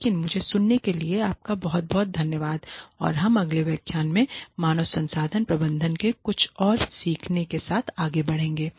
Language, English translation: Hindi, But thank you very much for listening to me and we will continue with some more learning in human resource management in the next lecture